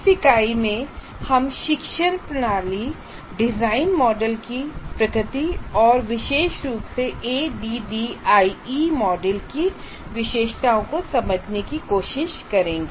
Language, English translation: Hindi, Now in this unit, we try to understand the nature of instructional system design models and particularly features of ADI model